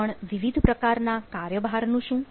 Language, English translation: Gujarati, but what about the different workloads